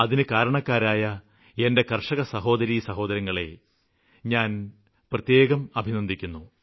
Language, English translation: Malayalam, I would especially like to congratulate and compliment all my farmer brothers and sisters for this achievement